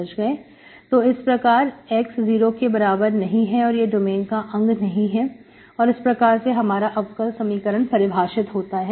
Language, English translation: Hindi, x equal to 0 should not be part of the domain in which this differential equation is defined